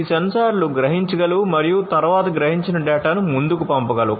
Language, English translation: Telugu, These sensors can only sense and then send the sensed data forward